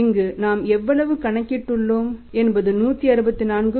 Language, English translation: Tamil, Now how we have calculated this 167